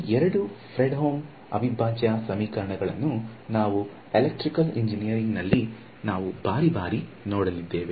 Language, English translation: Kannada, So, these two are Fredholm integral equations and we electrical engineering comes up across these many many times